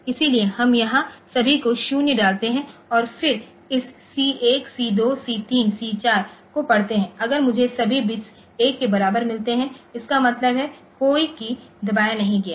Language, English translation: Hindi, So, we put all 0 here and then read this C 1, C 2, C 3, C 4 if I get all the bits to be equal to 1; that means, no key has been pressed